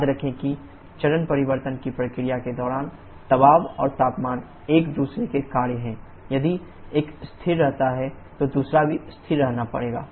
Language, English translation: Hindi, Remember during the phase change process pressure and temperature are functions of each other if one remains constant the other also has to remain constant